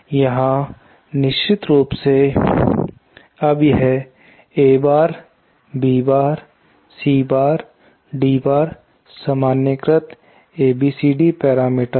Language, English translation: Hindi, Here of course, now this is A bar, B bar, C bar and D bar are the normalised ABCD parameters